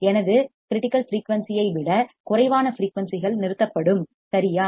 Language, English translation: Tamil, Frequency which is less than my critical frequency it will stop right